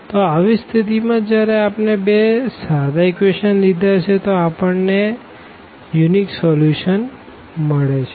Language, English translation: Gujarati, So, in this particular situation when we have considered these two simple equations, we are getting unique solution